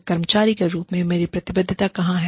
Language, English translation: Hindi, Where is my commitment more, as an employee